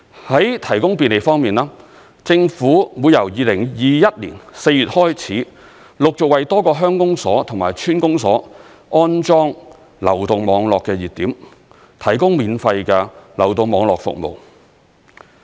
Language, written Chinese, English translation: Cantonese, 在提供便利方面，政府會由2021年4月開始，陸續為多個鄉公所及村公所安裝流動網絡熱點，提供免費流動網絡服務。, In an attempt to bring convenience to such residents the Government will gradually install mobile hotspots at various village offices and village councils from April 2021 onwards to provide free mobile network services